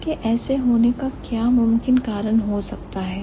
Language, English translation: Hindi, So, what could be the possible reason of such conditions